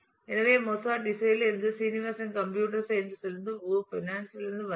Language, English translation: Tamil, So, Mozart is from music Srinivasan is from computer science and Wu is from finance